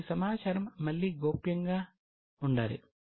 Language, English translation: Telugu, Now, this data again is a confidential